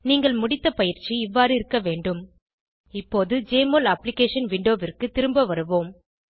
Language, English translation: Tamil, Your completed assignment should look as follows Now lets go back to the Jmol Application window